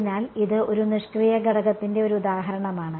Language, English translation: Malayalam, So, that is an example of a passive element